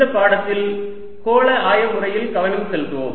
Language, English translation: Tamil, in this lecture we will focus on a spherical coordinate system